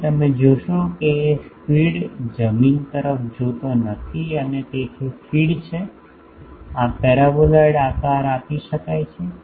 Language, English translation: Gujarati, So, you see the feed is not looking at the ground and feed so, this paraboloid can be shaped